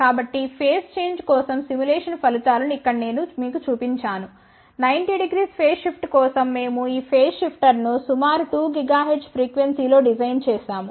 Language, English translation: Telugu, So, here I have shown you the simulated results for phase shift, we had designed this phase shifter at around 2 gigahertz frequency for 90 degree phase shift